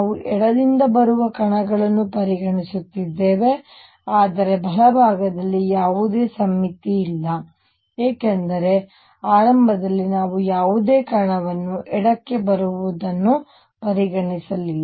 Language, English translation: Kannada, We are considering particles coming from the left, but on the right hand side there is no symmetry in that initially we did not consider any particle coming to the left